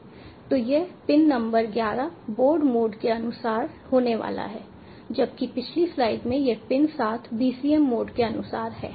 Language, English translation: Hindi, so this pin number eleven is going to be according to board mode, whereas in the previous slide this pin seven is according to bcm mode